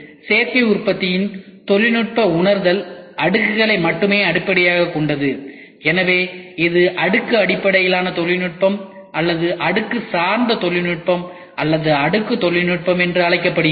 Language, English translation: Tamil, The technical realization of Additive Manufacturing is based solely on layers and therefore, it is called as layer based technology or layer oriented technology or even layer technology